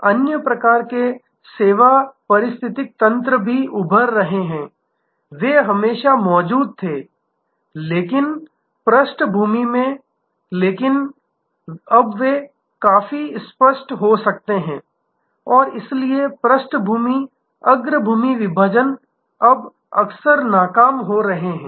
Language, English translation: Hindi, There are other kinds of service ecosystems also now emerging, they had always existed but in the background, but now they can become also quite explicit and so the background foreground divisions are now often getting defused